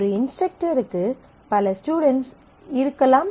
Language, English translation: Tamil, And an instructor may have several students